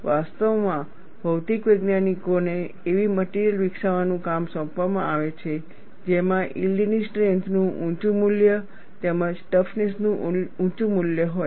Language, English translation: Gujarati, In fact, it is the task given to material scientists, to develop materials which have high value of yield strength, as well as high value of toughness